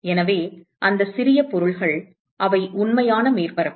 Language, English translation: Tamil, So, those small objects they are any real surface